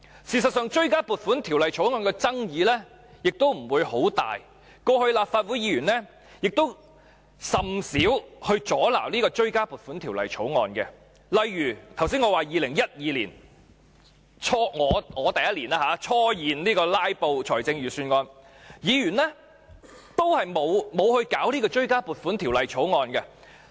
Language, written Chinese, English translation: Cantonese, 事實上，追加撥款條例草案的爭議不會很大，過去立法會議員亦甚少阻撓追加撥款條例草案，例如我剛才說的2012年，我首年就財政預算案進行"拉布"，議員也沒有阻撓追加撥款條例草案。, In fact supplementary appropriation Bills have never been controversial and Members of the Legislative Council have rarely blocked the passage of supplementary appropriation Bills before . Take the bill in 2012 that I have just mentioned as an example . That was the first year that I filibustered on the Budget and Members did not block the passage of the supplementary appropriation Bill